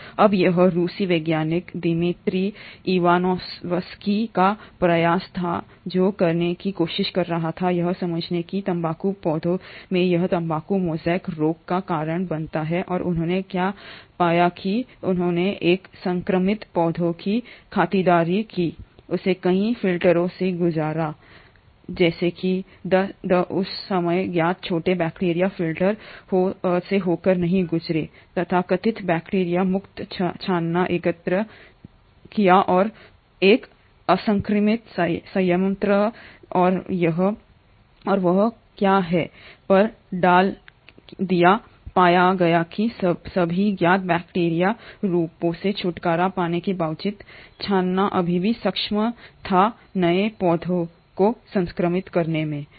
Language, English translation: Hindi, Now it was the effort of this Russian scientist called Dmitri Ivanovsky, who was trying to understand what causes this tobacco mosaic disease in tobacco plants and what he did was that he took the sap of an infected plant, passed it through multiple filters, such that the smallest of the known bacteria at that point of time will not go pass through the filter, collected the so called bacteria free filtrate and put it on an uninfected plant and what he found is that despite getting rid of all the known bacterial forms, the filtrate was still able to infect the new plant